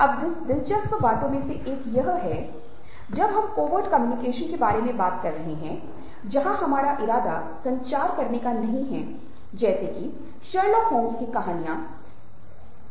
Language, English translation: Hindi, now, one of the interesting things when we are talking about covert communication or communication where we dont intend to, is the example of, lets say, detective stories, as in case of stories of sherlock holmes